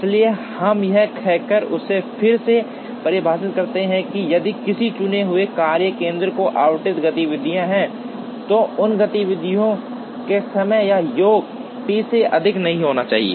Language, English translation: Hindi, So, we redefine it by saying that, if there are activities allotted to a chosen workstation, then the sum of times of those activities should not exceed T